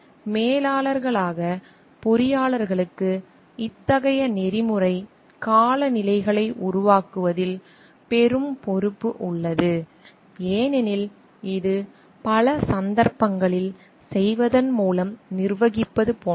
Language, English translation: Tamil, Engineers as managers have a great responsibility in creation of such ethical climates because it is in many cases like managing by doing